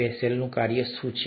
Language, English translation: Gujarati, What's a Bessel’s function